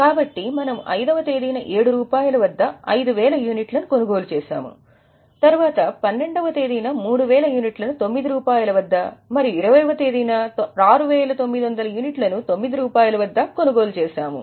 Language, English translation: Telugu, On date fifth, we have purchased 5,000 units at 7, then 12th, 3,000 units at 9 and then on 20th 6,900 units at 9